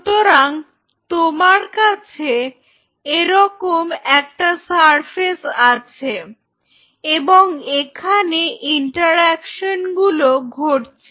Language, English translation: Bengali, So, you have the surface like this and here are the interactions right